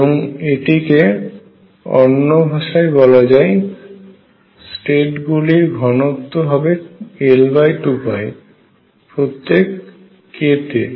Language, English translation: Bengali, Or this is also written in another words is that the density of states is L over 2 pi per k